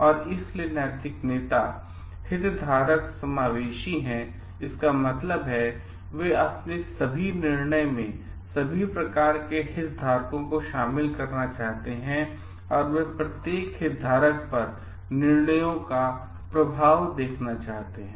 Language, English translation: Hindi, So and moral leaders are stakeholder inclusive means, they want to include the stakeholders all kind of stakeholders in their decision and they want to see the effect of the decisions on each of the stakeholders